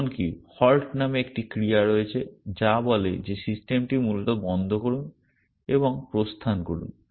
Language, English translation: Bengali, There is even a action called halt which says that stop the system essentially and exit essentially